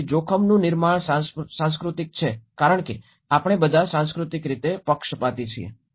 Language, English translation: Gujarati, So that is where risk is cultural constructed because we are all culturally biased